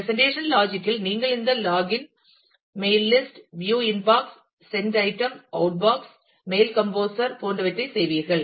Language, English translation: Tamil, So, at the presentation layer you will do things like, log in, mail list, view inbox, sent item, outbox so on, mail composer